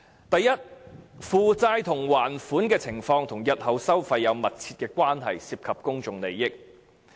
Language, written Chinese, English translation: Cantonese, 第一，負債及還款情況與日後收費有密切關係，涉及公眾利益。, First the debt and repayment situations are closely related to the toll levels in future and public interest is at stake